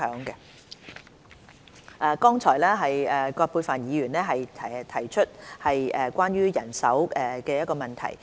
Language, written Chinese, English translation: Cantonese, 剛才葛珮帆議員提出關於人手的問題。, Earlier on Dr Elizabeth QUAT raised a question about manpower